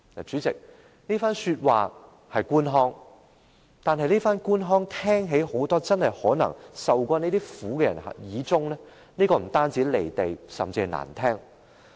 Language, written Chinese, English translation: Cantonese, 主席，這番說話是官腔，而這種官腔聽在很多曾受這種苦的人耳裏，不但感覺很"離地"，而且相當難聽。, President this statement is a stock answer . And to many of those who have experienced such ordeals such a stock answer sounds not only out of tune with the reality but also very unpleasant